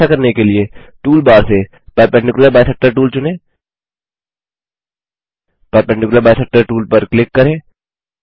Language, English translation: Hindi, To do this Lets Select Perpendicular bisector tool from the tool bar